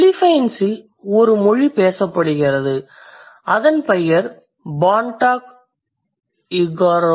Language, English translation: Tamil, There is a language spoken in the Philippines and its name is Bonto Igorod